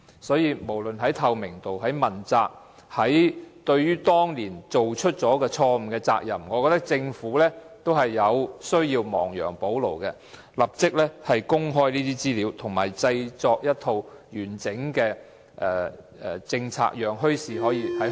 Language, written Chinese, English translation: Cantonese, 所以，不論在透明度、問責或對於當年作出錯誤決定的責任上，我認為政府也需要亡羊補牢，立即公開資料及制訂一套完整政策，讓墟市在香港能夠得以成功。, Therefore whether in respect of transparency accountability or the responsibility for making the wrong decision back then I think the Government has to remedy the mistake and immediately make public the information and draw up a comprehensive policy to enable bazaars to operate successfully in Hong Kong